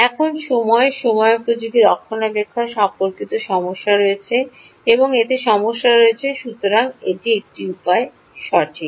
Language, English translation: Bengali, now there are issues with respect to time, timed maintenance, and there are issues with so this is one way